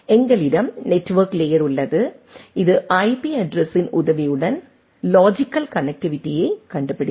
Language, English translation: Tamil, We have then the network layer, which find out the logical connectivity with the help of the IP address